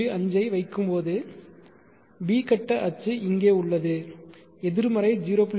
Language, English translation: Tamil, 5 so B phase axis is here negative 0